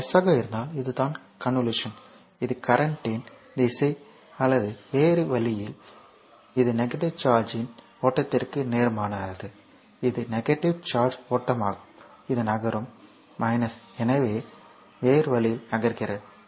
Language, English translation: Tamil, So, that is the from plus so, this is the convention so, this the direction of the current or in other way it is opposite to the flow of the negative charge, this is the flow of negative charge it is move this is minus so, it is moving in a other way